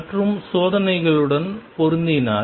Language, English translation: Tamil, And if the match with the experiments